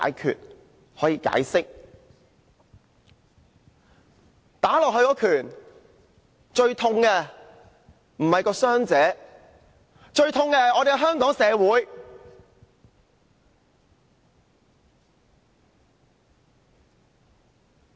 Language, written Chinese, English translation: Cantonese, 他們打在受害人身上的一拳，最痛的並不是傷者，最痛的是香港社會。, When they punched the victim it was not the victim who suffered the most but society of Hong Kong as a whole